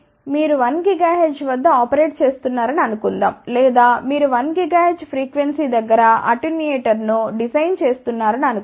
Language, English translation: Telugu, Suppose you are operating at a 1 gigahertz or you are designing an attenuator around a 1 gigahertz frequency